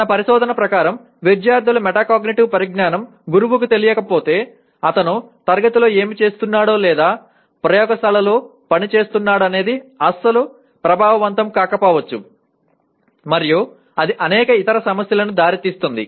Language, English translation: Telugu, Our research shows that unless if the teacher is not aware of the metacognitive knowledge of the students, then what he is doing in the class or working in the laboratory may not be effective at all and that leads to many other problems